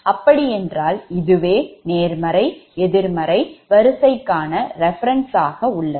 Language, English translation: Tamil, now this is actually positive sequence, negative sequence